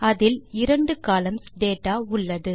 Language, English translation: Tamil, It contains two columns of data